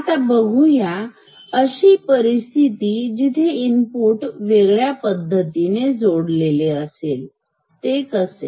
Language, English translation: Marathi, Now let us come to the situation where we have inputs connected in a different way, how like this